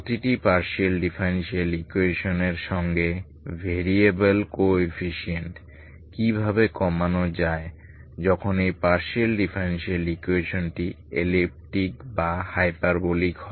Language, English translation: Bengali, Equations, partial differential equations with variable coefficients and each, when this partial differential equation is elliptic or parabolic how to reduce